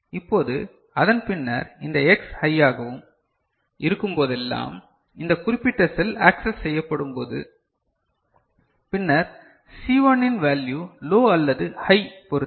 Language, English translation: Tamil, Now, after that whenever this X becomes high I mean this particular cell is becoming getting accessed, then depending on the value of C1 which is low or high